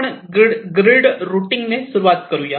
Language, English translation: Marathi, so we start with something called grid routing